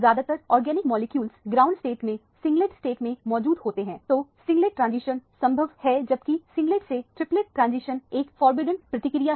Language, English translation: Hindi, Most organic molecules are singlet state in the ground state so singlet transition is possible or allowed whereas the singlet to triplet transition is a forbidden process